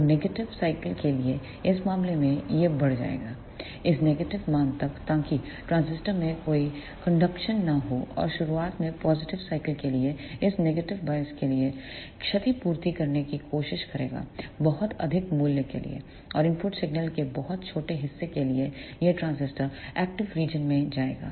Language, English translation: Hindi, So, in this case for the negative cycle it will add up to this negative value so there will not be any conduction in the transistor and for the positive half cycle in the starting it will try to compensate for this negative bias and for very high value and for the very small portion of the input signal this transistor will go into the active region